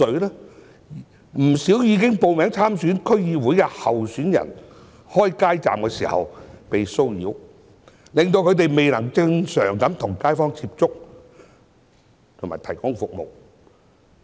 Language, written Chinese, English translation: Cantonese, 不少已報名參選區議會選舉的候選人開街站時被騷擾，令他們未能正常地與街坊接觸和提供服務。, Many candidates of the upcoming DC Election were harassed when setting up street booths and this has deprived them of the chance to come into contact with residents in the community through a normal channel and provide them with the services they need